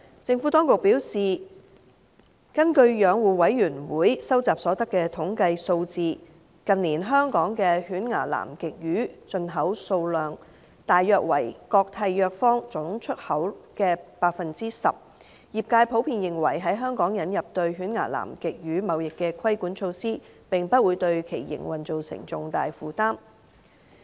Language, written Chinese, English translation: Cantonese, 政府當局表示，根據養護委員會蒐集所得的統計數字，近年香港的犬牙南極魚進口量大約為各締約方總出口量的 10%， 業界普遍認為，在香港引入對犬牙南極魚貿易的規管措施，並不會對其營運造成重大負擔。, The Administration advised that according to statistics compiled by the Commission toothfish imported into Hong Kong in recent years represents about 10 % of the total volume exported by Contracting Parties of the Convention . The trade generally considered that the introduction in Hong Kong of regulatory control over the trading of toothfish would not cause significant burden on their operations